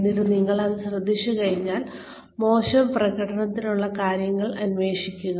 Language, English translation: Malayalam, And then, once you notice this, then please investigate, the reasons for poor performance